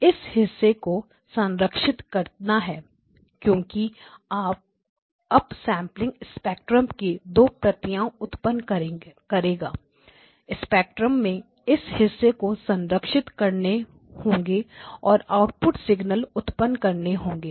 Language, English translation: Hindi, To preserve that portion of the because up sampling will produce two copies of the spectrum, preserved that portion of the spectrum that you want and then produce the output signal